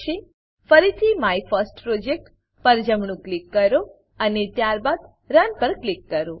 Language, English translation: Gujarati, Again, right click on MyFirstProject and then click on Run